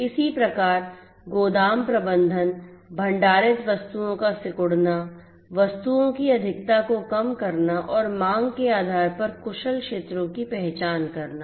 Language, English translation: Hindi, Similarly, warehouse management, shrinking of the stocked items, shortage overstock of commodities, identification of efficient areas based on demand